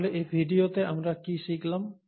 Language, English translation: Bengali, So what have we learnt in this video